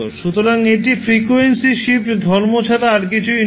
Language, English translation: Bengali, So, this is nothing but frequency shift property